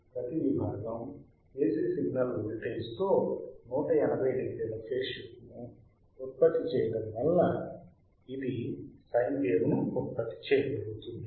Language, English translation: Telugu, Each section produces a phase shift of 1800 degree of the AC signal voltage and hence it produces a sine wave